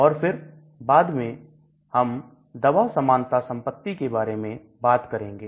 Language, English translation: Hindi, And then later on we will talk about the drug likeness property and so on